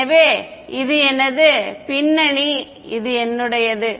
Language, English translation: Tamil, So, this is my background this is my